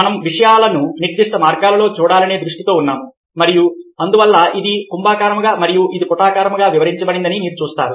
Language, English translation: Telugu, we are oriented to see things in specific ways and hence you see that this is interpreted as convex and this is interpreted as concave